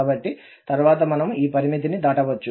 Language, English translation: Telugu, So, this limit we can pass later on